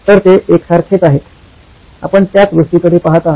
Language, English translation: Marathi, So, they are one and the same, you are looking at the same thing